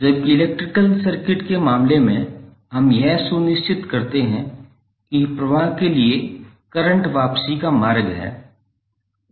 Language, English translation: Hindi, While in case of electrical circuit we make sure that there is a return path for current to flow